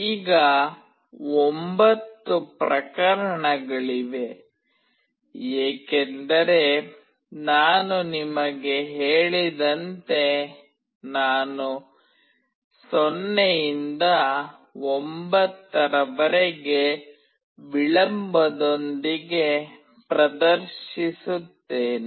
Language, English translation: Kannada, Now, there are 9 cases because as I have told you, I will be displaying from 0 till 9 with a delay